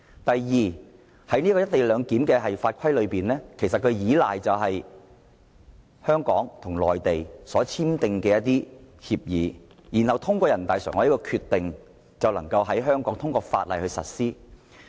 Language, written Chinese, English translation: Cantonese, 第二，有關"一地兩檢"的法規是建基於香港與內地簽訂的協議，然後通過人大常委會的《決定》在香港實施。, Second the co - location arrangement which found its legal basis in the agreement signed between Hong Kong and the Mainland would be implemented in Hong Kong by the Decision of NPCSC